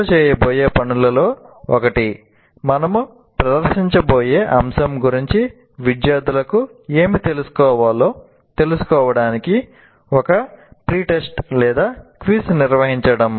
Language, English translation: Telugu, And if you consider, for example, one of the things that people do is conduct a pre test or a quiz to find out what the students know about the topic that we are going to present